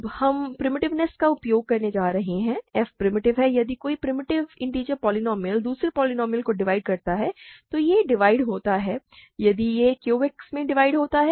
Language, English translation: Hindi, Now, we are going to use the primitiveness, f is primitive; if any primitive integer polynomial divides another a polynomial, it divides in if it divides in Q X it also divides in Z X